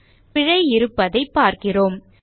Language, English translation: Tamil, we see that there is an error